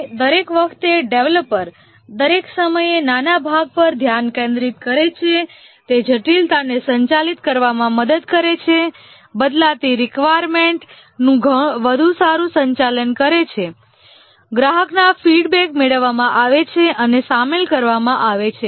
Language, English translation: Gujarati, And since each time the developers focus each time on a small part, it helps in managing complexity, better manage changing requirements, customer feedbacks are obtained and incorporated